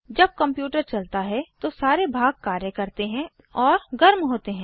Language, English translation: Hindi, When the computer is on, all these components work and generate heat